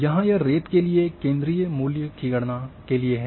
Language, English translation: Hindi, For the sand to calculate the centre value